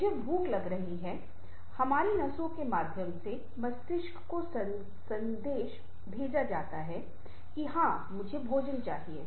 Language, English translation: Hindi, i am getting hungry, so the message is communicated through our nerves to the brain that, yes, i need some food